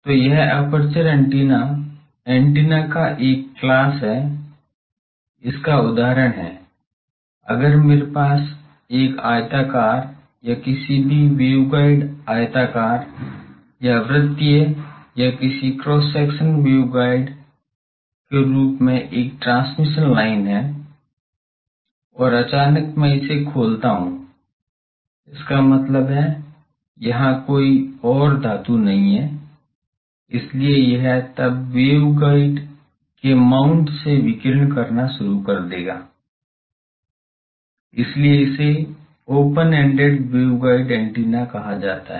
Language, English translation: Hindi, So, this aperture antennas are a class of antennas, the examples are, if I have an rectangular or any waveguide rectangular or circular or any cross section wave guide as a transmission line and suddenly I open it; that means, there are no more metals, so it then from the mount of the waveguide, it will start radiating, so that is called open ended wave guide antenna